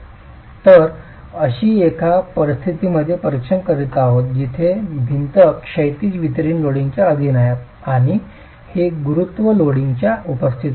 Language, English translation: Marathi, So, we are examining a situation where the wall is subjected to horizontally distributed, horizontal distributed loading and this is in the presence of gravity load